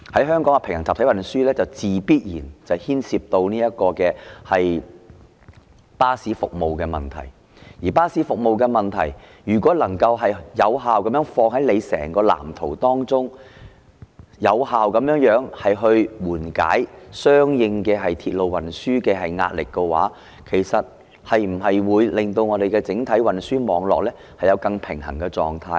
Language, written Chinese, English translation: Cantonese, 香港的平衡集體運輸，必然牽涉到巴士服務的問題，而如果巴士服務能夠放在整個藍圖當中，有效地緩解相應鐵路運輸壓力的話，其實會否令整體運輸網絡有更平衡的狀態呢？, The issue of bus services comes with the territory in Hong Kongs parallel mass transit systems . If bus services can be incorporated into the overall blueprint to effectively alleviate the pressure on corresponding railway services will the entire transport network be more balanced as a result?